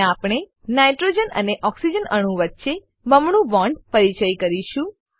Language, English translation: Gujarati, Now we will introduce a double bond between nitrogen and oxygen atom